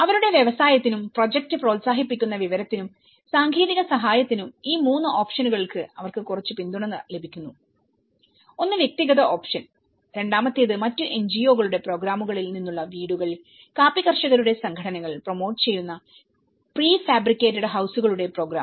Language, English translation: Malayalam, For these 3 options, they have been getting some support, one is the individual option, the second one is houses from other NGOs programs and a program of prefabricated houses promoted by the coffee grower’s organizations